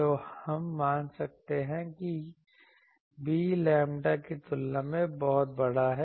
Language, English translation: Hindi, So, we can assume that b is much much larger than or you can say lambda